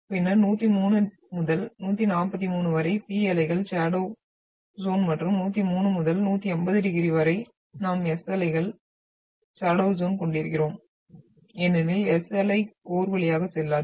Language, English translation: Tamil, And then so that is 103 to 143 is P waves shadow zone and from 103 to 180 degrees we are having S wave shadow zone because S wave will not go through the core